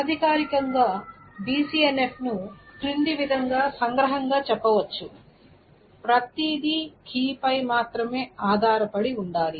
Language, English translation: Telugu, And informally, BCNF is can be summarized as everything depends on only the key